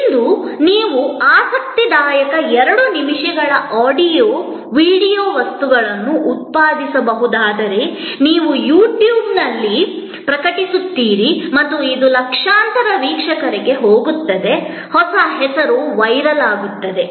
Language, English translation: Kannada, Today, if you can produce an interesting 2 minutes of audio, video material, you can publish it on YouTube and it will go to millions of viewers, we have a new name going viral